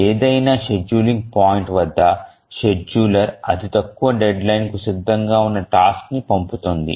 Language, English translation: Telugu, At any scheduling point, the scheduler dispatches the shortest deadline ready task